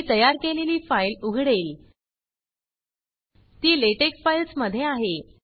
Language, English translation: Marathi, I will open the file that I created, so it is in LaTeX files